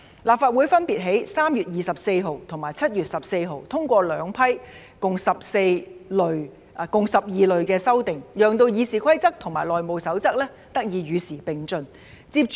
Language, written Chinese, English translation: Cantonese, 立法會分別在3月24日和7月14日通過兩批共12類的修訂，讓《議事規則》和《內務守則》得以與時並進。, The two batches of amendments grouped under a total of 12 categories were passed by the Legislative Council on 24 March and 14 July respectively allowing RoP and HR to keep up with the times